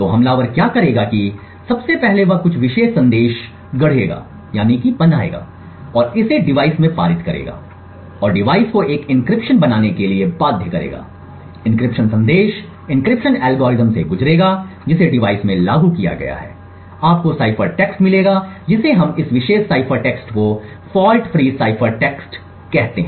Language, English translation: Hindi, So what the attacker would do is that first of all he would fabricate some particular message and pass it to the device and force the device to create an encryption so the encryption would the message will pass through the encryption algorithm which is implemented in the device and would give you cipher text we call this particular cipher text as a fault free cipher text